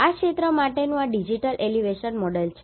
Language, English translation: Gujarati, This is the digital elevation model for this area